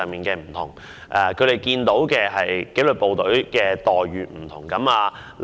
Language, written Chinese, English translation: Cantonese, 據他們所見，紀律部隊之間有不同待遇。, In their observations various disciplined forces are subject to different employment terms